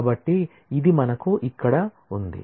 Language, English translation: Telugu, So, this is what we have here